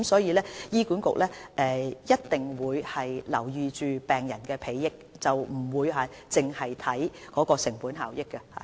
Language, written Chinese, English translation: Cantonese, 醫管局必定會顧及病人的裨益，不會只看成本效益。, HA will surely take the interest of patients into account not just the cost - effectiveness of drugs